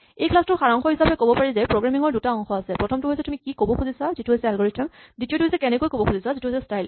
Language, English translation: Assamese, To summarize, there are two parts of programming; first is what you want to say which the algorithm is, in the second part is how you say which is the style